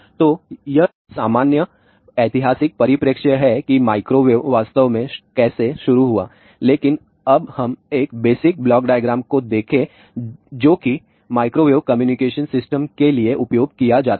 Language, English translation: Hindi, So, this is the general historical perspective; how the microwave really started, but now, let us look at the one basic block diagram which is used for microwave communication system